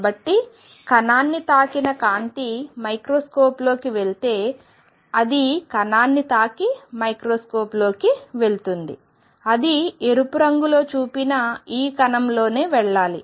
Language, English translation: Telugu, So, that it hits the particle and goes into the microscope if the light hitting the particle goes into microscope it must go within this angle shown by red